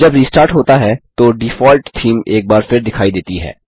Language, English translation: Hindi, When it restarts, the default theme is once again visible